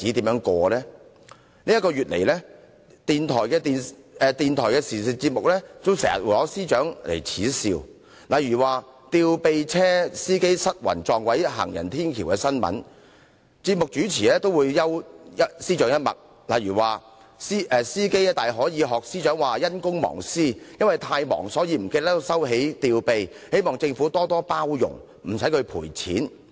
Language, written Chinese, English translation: Cantonese, 在過去一個月以來，電台的時事節目經常耻笑司長，例如在一宗"吊臂車司機失魂撞毀行人天橋"的新聞，節目主持幽了司長一默，指司機大可以仿效司長說是"因公忘私"，由於太忙才會忘記收起吊臂，希望政府多多"包容"，不用他賠錢。, What will happen to the Secretary for Justice in future? . In the past month or so the Secretary for Justice has become the laughing stock of radio programmes on current affairs . For example when a programme host spoke on the news about a careless crane lorry driver smashed into a bridge he ridiculed the Secretary for Justice saying that the driver might cite the Secretary for Justices defence of being too devoted to public service to neglect private affairs; being too busy he forgot to lower the crane and hoped that the Government might tolerate him and did not claim compensation from him